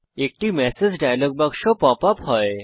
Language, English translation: Bengali, A message dialog box pops up